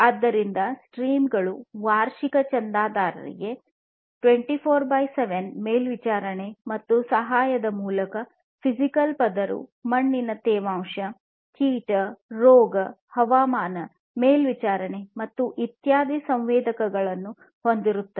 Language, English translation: Kannada, The revenue streams are through yearly subscriptions 24X7 monitoring and assistance; the physical layer constitutes of sensors for soil moisture, insect, disease, climate monitoring and so on